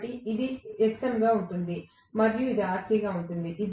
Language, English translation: Telugu, So, this is going to be Xm and this is going to be Rc